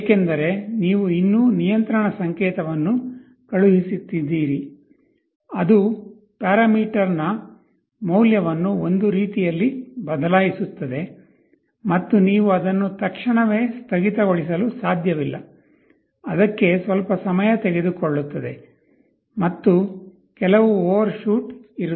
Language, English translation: Kannada, Because, see you are still sending a control signal that will change the value of the parameter in one way and you cannot instantaneously shut it off, it will take some time for it and there will be some overshoot